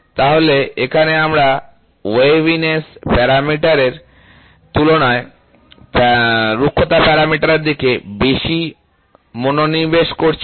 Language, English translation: Bengali, So, here we are more focused towards roughness parameter as compared to that of waviness parameter